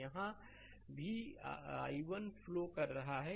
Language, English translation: Hindi, So, here also that i 1 current is flowing